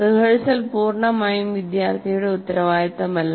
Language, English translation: Malayalam, So that is not completely the responsibility of the student